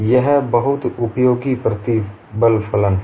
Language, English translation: Hindi, It is a very useful stress function